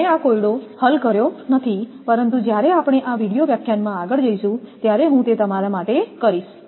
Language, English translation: Gujarati, I have not solved this problem, but I am giving it to you while we will go through this video lecture and that I will do it